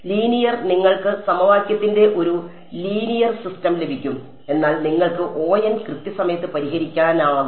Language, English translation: Malayalam, :Linear you get a linear system of equation and, but you can solve it in order n time